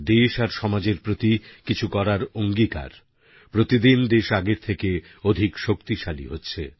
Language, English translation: Bengali, The sentiment of contributing positively to the country & society is gaining strength, day by day